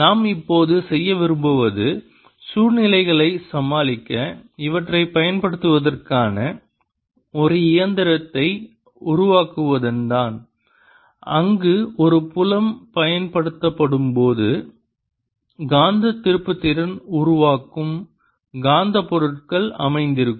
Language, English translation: Tamil, what we want to do now is develop a machinery to using these to deal situations where there are magnetic materials sitting that develop magnetic moment when a field is applied